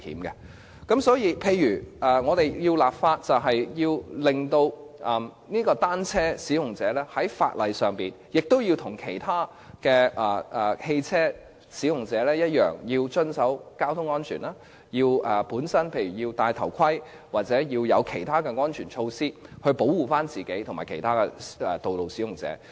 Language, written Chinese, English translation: Cantonese, 因此，在制定法例時，單車使用者必須與其他汽車使用者一樣，要遵守交通安全，也要佩戴安全頭盔及採取安全措施保護自己和其他道路使用者。, For these reasons under the law to be enacted cyclists must observe road safety as motorists do wear safety helmets and take safety measures to protect themselves and other road users